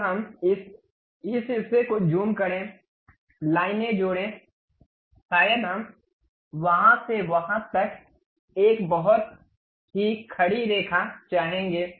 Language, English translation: Hindi, Now, zoom into this portion, add lines, perhaps we would like to have a very vertical line from there to there, done